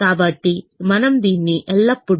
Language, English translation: Telugu, so we could do this for it always